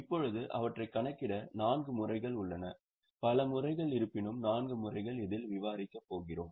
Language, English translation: Tamil, Now, to calculate them, there are four methods, there are several methods, but four methods we are going to discuss in this course